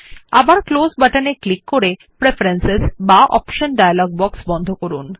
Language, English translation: Bengali, Again click on the Close button to close the Preferences or Options dialog box